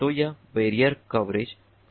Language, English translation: Hindi, so this is the barrier coverage problem